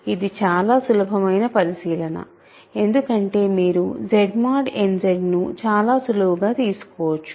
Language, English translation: Telugu, So, these are easy observations and we can also say characteristic of Z mod n Z is n right